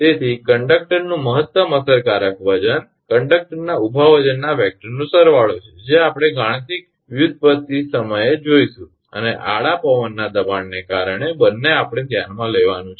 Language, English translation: Gujarati, Therefore, the maximum effective weight of the conductor is the vector sum of the vertical weight of the conductor that we will see at the time of mathematical derivation and the horizontal wind pressure both we have to consider